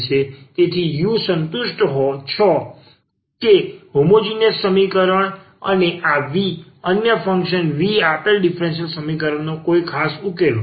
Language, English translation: Gujarati, So, the u satisfies that homogeneous equation and this v another function v be any particular solution of the given differential equation